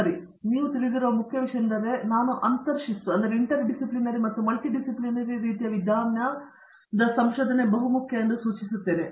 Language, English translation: Kannada, So, the main thing that you know based on the fact that I just mentioned that interdisciplinary and multidisciplinary kind of approach is very important